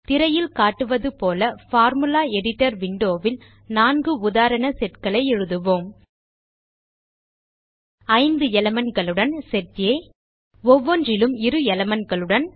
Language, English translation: Tamil, Let us write 4 example sets in the Formula Editor window as shown on the screen: Set A with 5 elements Set B Set C And Set D with elements each